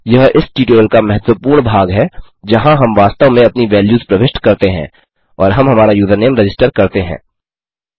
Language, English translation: Hindi, This is the important part of the tutorial where we actually input our values and we register our username